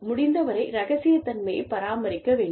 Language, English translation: Tamil, We need to be keep maintain, confidentiality, as far as possible